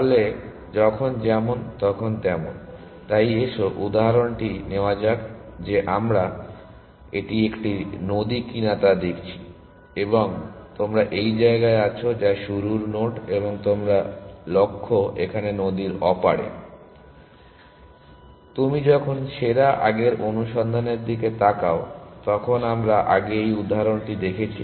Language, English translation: Bengali, So, by as and when, so let us take this example that we have been looking at if this is a river, and you are at this place, which is the start node and your goal is somewhere here on the other side of the river, we have looked at this example before when you look looking at best first search